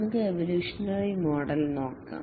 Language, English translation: Malayalam, Let's look at the evolutionary model